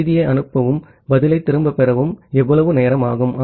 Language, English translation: Tamil, So, how much time it will take to send the message and get back the reply